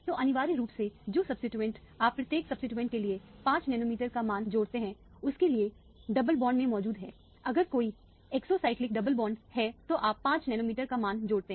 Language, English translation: Hindi, So, essentially the substituent that are present in the double bonds for each substituent you add a value of 5 nanometer, if there is an exocyclic double bond, you add a value of 5 nanometer